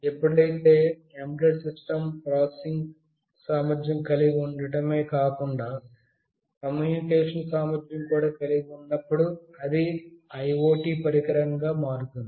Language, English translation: Telugu, Whenever an embedded system not only has processing capability, but also has communication capability, it becomes an IoT device